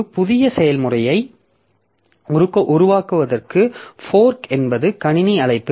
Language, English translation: Tamil, Like it for creating a new process, so fork is the system call